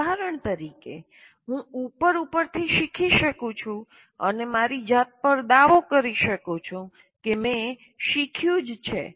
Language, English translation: Gujarati, For example, I can superficially learn and claim to myself that I have learned